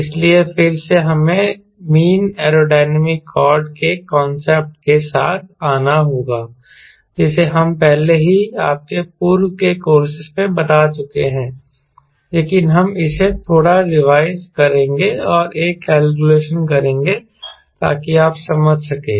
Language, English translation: Hindi, so there again we have to come the concept of mean aerodynamic chord, which we have already explained in your earlier courses, but we will be revising this little bit and do a calculation for your understand